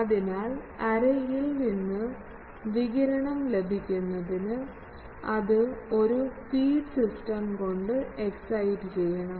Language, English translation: Malayalam, So, in order to obtain radiation from the array, it must be excited by a fed system